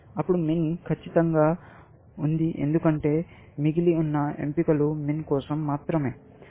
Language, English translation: Telugu, If min is perfect, because the choices that are left, are only for min, essentially